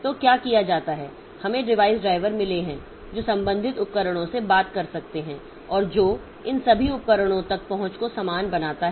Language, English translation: Hindi, So, what is done we have got the device drivers that can talk to the corresponding devices and that makes the that makes the access to all these devices uniform